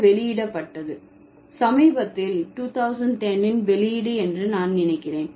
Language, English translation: Tamil, It's published, the latest publication is I think 2010